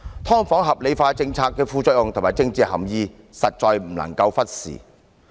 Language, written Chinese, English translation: Cantonese, "劏房"合理化的政策的副作用及政治含意，實在不能夠忽視。, The side effects and political implications of the policy of rationalizing subdivided units really cannot be neglected